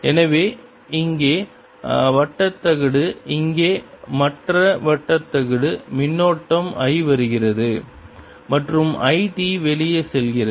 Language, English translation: Tamil, so here is the circular plate, here is the other circular plate current i is coming in, i t and its going out